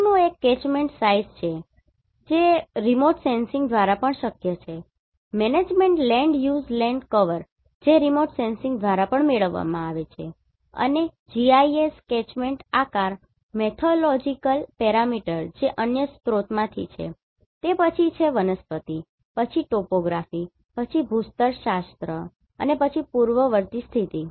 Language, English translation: Gujarati, The next one is Catchment Size that is also possible from remote sensing Management Land use land cover that also comes from remote sensing and GIS catchment shape Methodological parameter that is from another sources then Vegetation, then Topography, then Geology and then Antecedent Condition